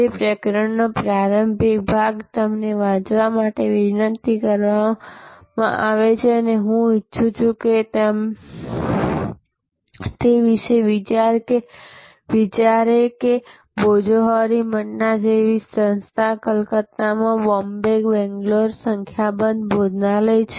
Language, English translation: Gujarati, The initial part of that chapter you are requested to be read and I would like it think about that an organization like Bhojohari Manna, I introduce that, they have number of restaurants in Calcutta, in Bombay, Bangalore